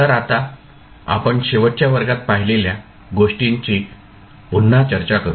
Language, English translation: Marathi, So, now let us recap what we discussed in the last class